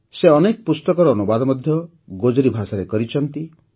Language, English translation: Odia, He has translated many books into Gojri language